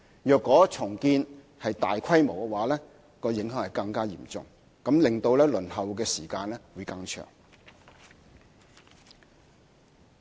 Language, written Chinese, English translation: Cantonese, 如果屬大規模重建，則影響會更加嚴重，令其他公屋申請者輪候時間更長。, In the case of a large - scale redevelopment the impact will be more serious and the waiting time of other PRH applicants will also be further lengthened